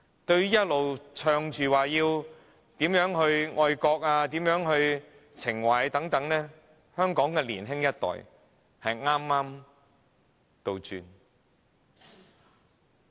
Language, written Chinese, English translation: Cantonese, 政府一直宣傳，呼籲大家要愛國，要有愛國情懷，但香港的年輕人卻背道而馳。, Notwithstanding the Governments publicity efforts of encouraging us to love our country and have affection for our country Hong Kongs young people simply dissent from the Governments expectation